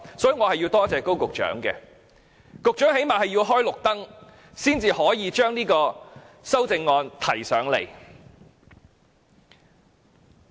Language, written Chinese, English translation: Cantonese, 因此，我要感謝高局長，最低限度他要"開綠燈"，修正案才能提交立法會。, For this I must thank Secretary Dr KO for at least giving the green light so that the amendments could be submitted to the Legislative Council